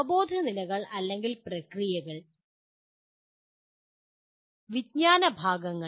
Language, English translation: Malayalam, Cognitive levels or processes and knowledge categories